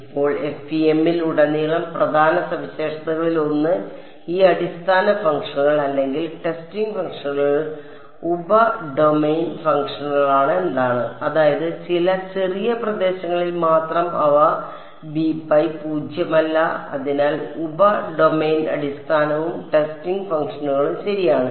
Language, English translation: Malayalam, Now, throughout FEM one of the sort of key features is that these basis functions or testing functions they are sub domain functions; means, they are non zero only over some small region so, sub domain basis and testing functions ok